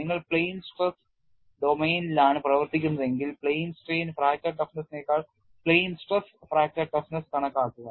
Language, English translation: Malayalam, If you are working in the plane stress domain then calculate the plane stress fracture toughness rather than plane strain fracture toughness